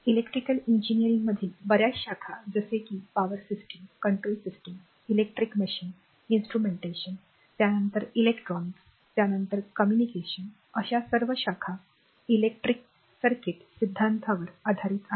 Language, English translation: Marathi, So, several branches in electrical engineering like power system, control system, electric machines, instrumentation, then electronics, then communication, all are based on your electric circuit theory right